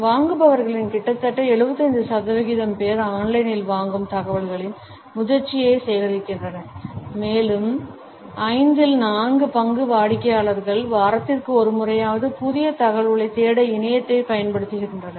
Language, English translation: Tamil, Nearly 75 percent of the buyers gather the maturity of their purchasing information online and four fifths of the customers use the web at least once a week to search for new information